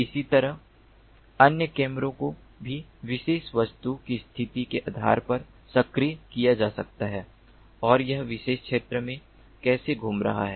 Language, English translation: Hindi, similarly, the other cameras could also be activated, depending on the position of the particular object and how it is moving in the particular field